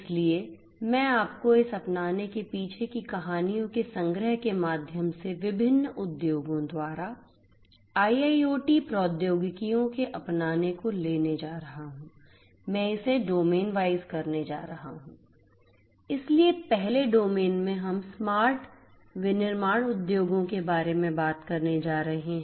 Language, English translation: Hindi, So, I am going to take you through the collection of different adoptions and the stories behind this adoptions of IIoT technologies by different industries, I am going to do it domain wise